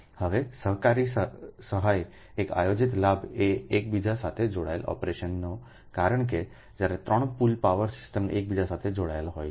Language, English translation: Gujarati, now, cooperative assistance is one of the planned benefits of interconnected operation, because when three pool power systems are interconnected together